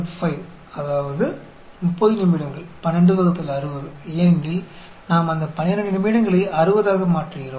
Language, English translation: Tamil, 5, that is 30 minutes, 12 by 60, because we are converting that 12 minutes into 60